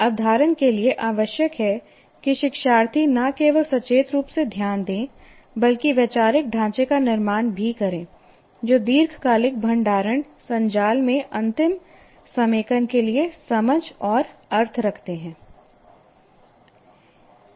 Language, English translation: Hindi, So, retention requires that the learner not only give conscious attention, but also build conceptual frameworks that have sense and meaning for eventual consolidation into the long term storage networks